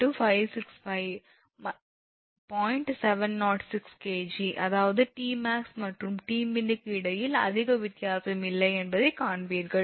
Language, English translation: Tamil, 706 kg, that means, between T max and T min you will find there is not much difference